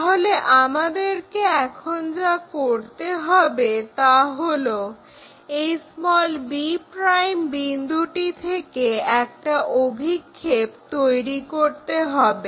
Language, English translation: Bengali, So, what we have to do is project this one point b ' make a projection call this point b, join a and b